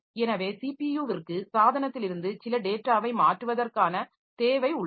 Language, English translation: Tamil, So, CPU needs some data to be transferred from device